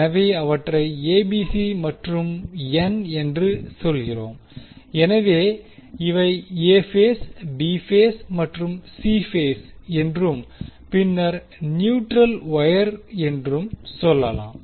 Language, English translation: Tamil, So, we say them ABC and n, so, the these we can say as A phase, B phase and C phase and then the neutral wire